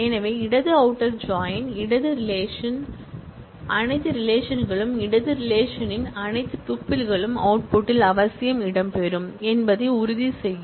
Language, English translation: Tamil, So, left outer join ensure that, all relations of the left relation, all tuples of the left relation will necessarily feature in the output and that is a reason